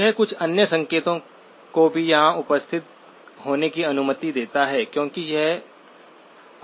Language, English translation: Hindi, It allows some other signals also to be present here because that is unwanted